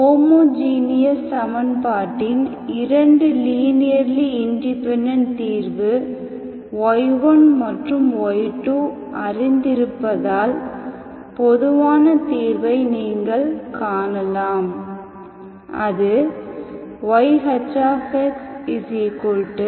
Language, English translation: Tamil, Having known the solutions of 2 linearly independent solutions of the homogeneous equations y1 and y2, you can find the general solution of the homogeneous equation, okay